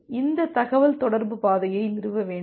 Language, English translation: Tamil, So these communication path need to be established